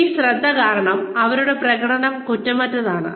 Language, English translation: Malayalam, Because of this focus, their performance is impeccable